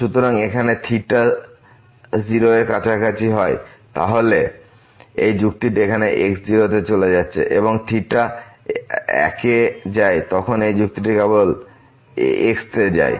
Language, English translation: Bengali, So, here if theta is close to 0 then this argument here is moving to naught when theta goes to one this argument here goes to simply